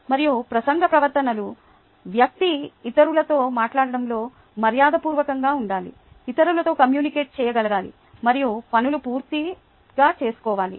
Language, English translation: Telugu, and speech behaviors the person needs to be polite in speaking to the others, to be able to communicate with others and get things done